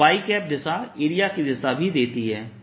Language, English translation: Hindi, y is the direction of area also